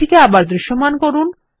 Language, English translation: Bengali, Lets make it visible again